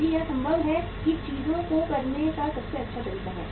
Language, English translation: Hindi, If it is possible that is the best way to do the things